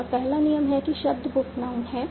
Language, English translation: Hindi, And the first rule that derives book is noun